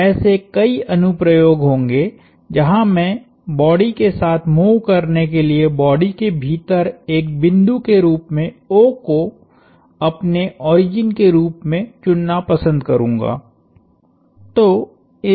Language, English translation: Hindi, So, there will be several applications, where I would like to choose O my origin as a point inside the body to be moving with the body